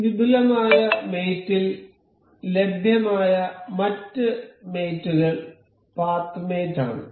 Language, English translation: Malayalam, The other mate available in the advanced mate is path mate